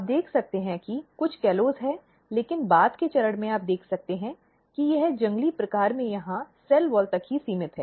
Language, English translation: Hindi, You can see that there are some callose, but at later stage you can see it is restricted very few and restricted to some of the cell wall here in wild type